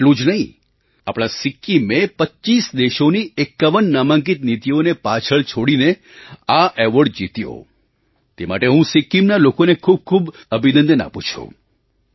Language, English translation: Gujarati, Not only this, our Sikkim outperformed 51 nominated policies of 25 countries to win this award